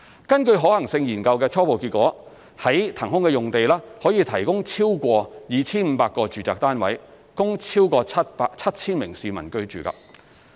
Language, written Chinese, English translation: Cantonese, 根據可行性研究的初步結果，在騰空的用地可以提供超過 2,500 個住宅單位，供超過 7,000 名市民居住。, According to the preliminary results of the Study more than 2 500 housing flats can be provided at the released site accommodating over 7 000 people